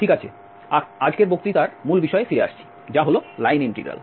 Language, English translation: Bengali, Okay, coming back to the main topic of todays lecture, that is the line integral